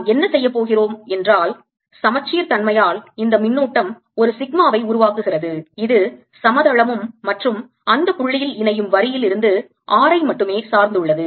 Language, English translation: Tamil, what we are going to say is that by symmetry, this charge produces a sigma which depends only on r from the line joining the plane